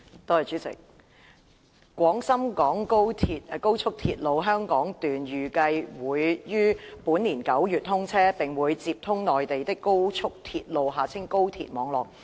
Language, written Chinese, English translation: Cantonese, 代理主席，廣深港高速鐵路香港段預計會於本年9月通車，並會接通內地的高速鐵路網絡。, Deputy President the Hong Kong Section of the Guangzhou - Shenzhen - Hong Kong Express Rail Link is expected to be commissioned in September this year and it will be connected to the national high - speed rail network on the Mainland